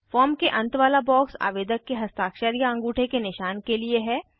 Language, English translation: Hindi, The box at the end of the form, asks for the applicants signature or thumb print